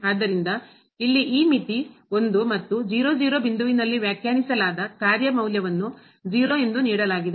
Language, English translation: Kannada, So, this limit here is 1 and the function value defined at point is given as 0